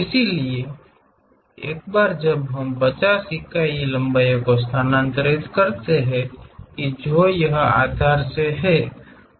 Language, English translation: Hindi, So, once we transfer that 50 units is the length, so that is from the base